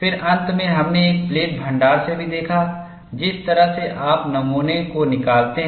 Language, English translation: Hindi, Then finally, we have also looked at, from a plate stock, which way you take out the specimens